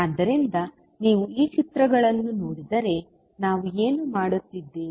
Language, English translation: Kannada, So, if you see this particular figure, what we are doing